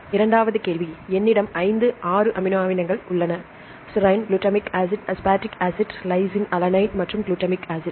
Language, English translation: Tamil, Then the second question I have 5 6 amino acids; serine, glutamic acid, aspartic acid lysine, alanine and glutamic acid